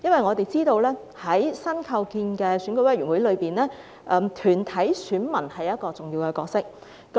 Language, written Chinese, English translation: Cantonese, 我們知道在新構建的選委會裏，團體選民擔當一個重要的角色。, We know that in the newly constituted EC corporate electors will play an important role